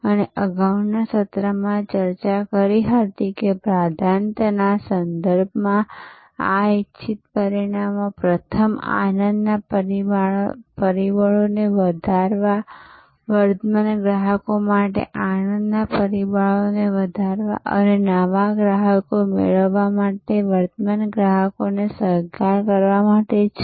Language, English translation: Gujarati, And we discussed in the previous session that this desired outcomes in terms of priority first is to enhance the delight factors, enhance delight factors for current customers and co opt current customers to acquire new customers